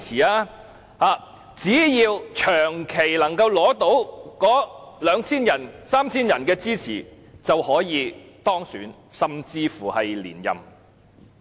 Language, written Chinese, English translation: Cantonese, 他們只要長期取得兩三千人的支持，便可當選甚至是連任區議員。, How dare I say that they have no support? . So long as they can persistently secure support from 2 000 to 3 000 people they will be elected or even re - elected